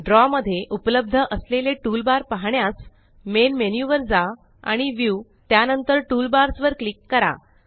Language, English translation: Marathi, To view the toolbars available in Draw, go to the Main menu and click on View and then on Toolbars